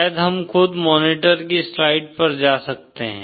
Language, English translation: Hindi, Maybe we can go to the slides on the monitor itself